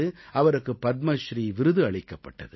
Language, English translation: Tamil, She was being decorated with the Padma Shri award ceremony